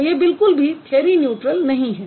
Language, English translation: Hindi, So, this is not theory neutral